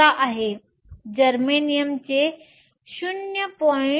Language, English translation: Marathi, 11, germanium is 0